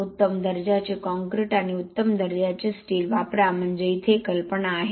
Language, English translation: Marathi, Use better quality concrete and better quality steel, so that is the idea here